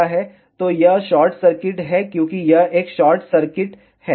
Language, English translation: Hindi, So, this is short circuit, because it is a solid wall